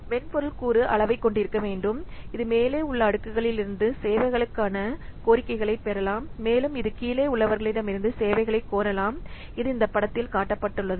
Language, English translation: Tamil, The software component which has to be sized, it can receive request for services from layers above and it can request services from those below it